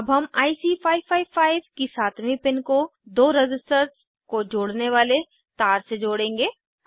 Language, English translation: Hindi, Now we will connect the 7th pin of IC 555 to the wire connecting the two resistor